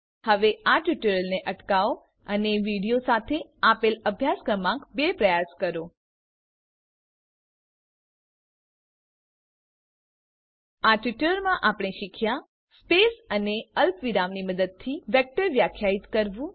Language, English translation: Gujarati, Please pause the tutorial now and attempt exercise number two given with the video In this tutorial, we have learnt to Define a vector using spaces or commas